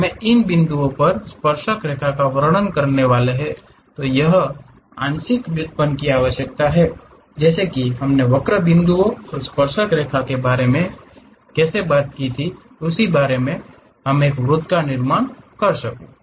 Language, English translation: Hindi, And, we require partial derivatives describing tangent at those points like how we talked about a curve point and a tangent so that I can really construct a circle